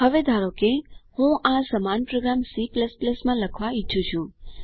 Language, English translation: Gujarati, Now suppose, I want to write the same program in C++